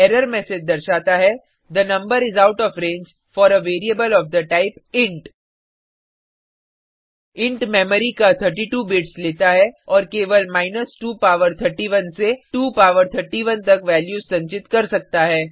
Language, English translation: Hindi, The error message says,the number is out of range for a variable of the type int int takes 32 bits of memory and can store values only from 2 power 31 to 2 power 31